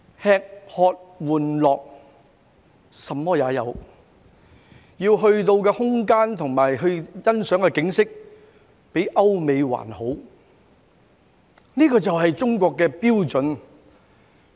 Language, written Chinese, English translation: Cantonese, 吃喝玩樂，甚麼也有，可到的空間和欣賞的景色較歐美還好，這便是中國的標準。, It offers dining wining gaming and entertainment whatever you name it and surpasses Europe and the United States in terms of space and scenery . This is the standard of China